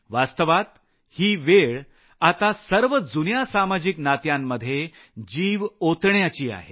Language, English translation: Marathi, Actually, this is the time to give a new lease of life to all your existing social relationships